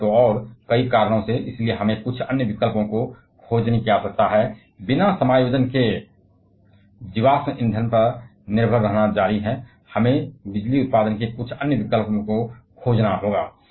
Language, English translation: Hindi, And so and so, several reasons, and therefore, we need to find some other options without instead of adjust continue to depending on the fossil fuels, we have to find some other options of electricity generation